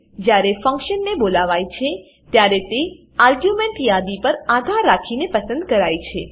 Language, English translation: Gujarati, When a function is called it is selected based on the argument list